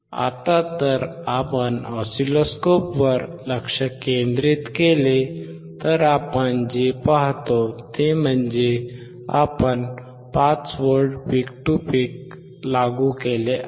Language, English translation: Marathi, Now if we concentrate on the oscilloscope what we see is, we have applied, 5 V peak to peak